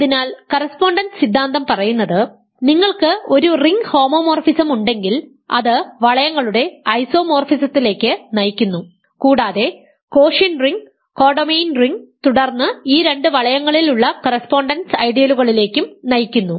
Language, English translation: Malayalam, So, remember correspondence theorem says that if you have a ring homomorphism this already leads to an isomorphism of rings, quotient ring and the co domain ring and then there is a correspondence of ideals in these two rings